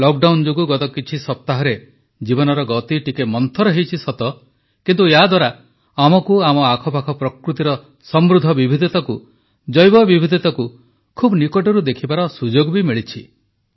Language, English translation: Odia, During Lockdown in the last few weeks the pace of life may have slowed down a bit but it has also given us an opportunity to introspect upon the rich diversity of nature or biodiversity around us